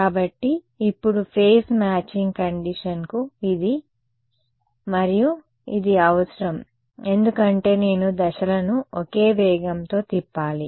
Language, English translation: Telugu, So, now phase matching condition required this and this right because the phases I have to rotate at the same speed ok